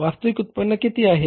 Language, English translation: Marathi, Actual yield is how much